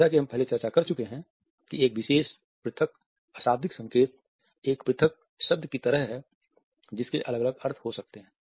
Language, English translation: Hindi, As we have discussed earlier a particular isolated nonverbal signal is like an isolated word which may have different meanings